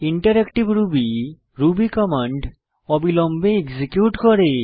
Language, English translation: Bengali, Interactive Ruby allows the execution of Ruby commands with immediate response